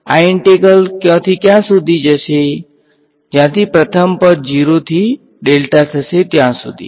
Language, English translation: Gujarati, This integral will go from where to where the first term 0 to delta right